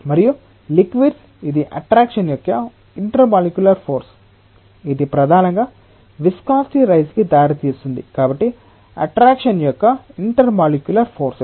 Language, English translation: Telugu, And for liquids it is the intermolecular forces of attraction, that gives rise to the viscosity mainly; so, intermolecular forces of attraction